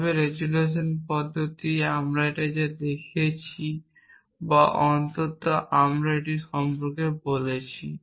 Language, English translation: Bengali, Those methods are not complete, but resolution method we showed this or at least we talked about it